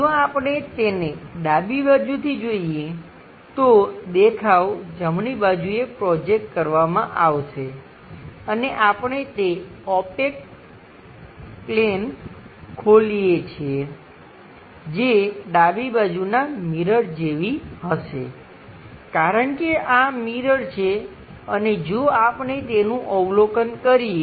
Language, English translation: Gujarati, If if we observe it from left side, the view will be projected on right side, and we open that opaque plate which will be same as left side mirror because this is the mirror if we are observing it